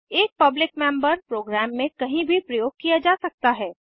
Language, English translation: Hindi, A public member can be used anywhere in the program